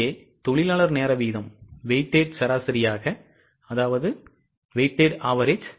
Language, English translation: Tamil, Here the labour hour rate is taken as a weighted average which is 3